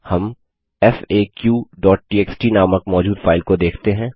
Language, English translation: Hindi, We can see a file name faq.txt present